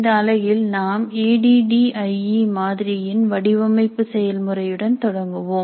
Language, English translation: Tamil, Now in this unit we will start with the design process of the ADI model